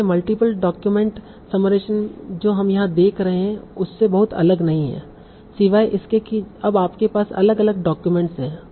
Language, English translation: Hindi, So, multiple documents is not very different from what we have seen here, except that now you are having different documents